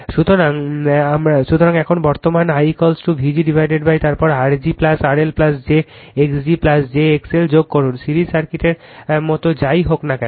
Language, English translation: Bengali, So, now current I is equal to V g upon then you add R g plus R L plus j x g plus j x l, like your series circuit whatever you do